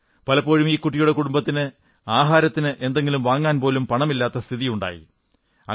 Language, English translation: Malayalam, There were times when the family had no money to buy food